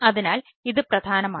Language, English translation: Malayalam, so this is important